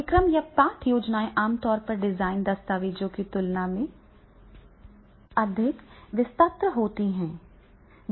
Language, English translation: Hindi, Courses or lesson plans are typically more detailed than the design document